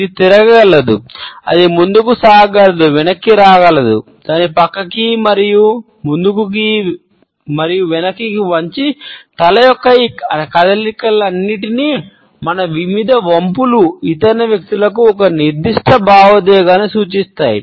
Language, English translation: Telugu, It can turn, it can just forward; we can withdraw our head, we can tilt it sideways, forward and backward and all these movements of the head, our various tilts suggest a particular set of emotions to the other people